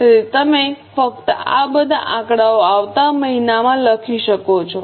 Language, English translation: Gujarati, So, you can just write in the next month all these figures